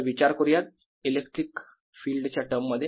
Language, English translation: Marathi, so think in terms of electric field conceptually